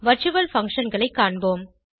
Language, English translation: Tamil, Let us see virtual functions